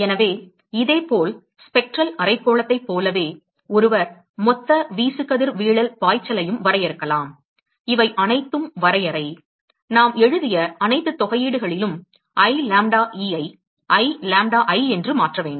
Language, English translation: Tamil, And so, similarly one could also define, so like Spectral hemispherical, one could also define a total irradiation flux, all these are definition, we just have to replace i lambda e with i lambda i, in all the integrals that we wrote